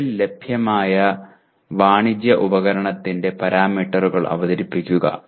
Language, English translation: Malayalam, Present the parameters of presently available commercial device